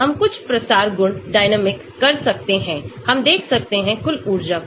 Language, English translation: Hindi, we can do some diffusion properties, dynamics, we can look at total energy